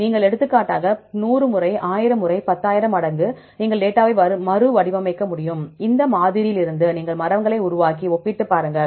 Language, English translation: Tamil, You construct large number of resampling for example, 100 times, 1,000 times, 10,000 times you can resample the data, and from this sample you construct the trees and compare